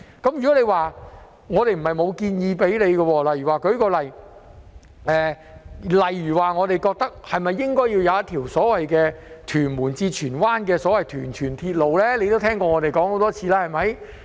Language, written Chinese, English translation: Cantonese, 其實我們也曾向局長建議，例如應否興建一條由屯門至荃灣的所謂"屯荃鐵路"，他也聽過我們說了很多次吧。, In fact we have also proposed to the Secretary for example whether the so - called Tuen Mun to Tsuen Wan Link should be constructed to connect Tuen Mun and Tsuen Wan . He should have heard us mention this many times